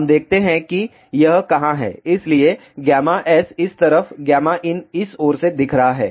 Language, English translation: Hindi, Let us see where it is, so gamma s is from this side gamma n is looking from this side